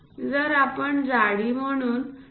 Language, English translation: Marathi, If we are using 2